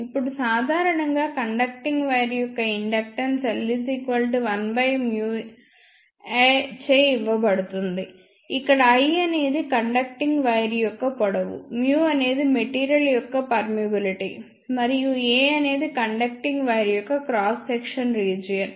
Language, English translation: Telugu, Now, in general the inductance of a conductive wire is given by capital L is equal to small 1 divided by mu A, where small l is the length of the conducting wire, mu is the permeability of the material, and A is the cross section area of the conducting wire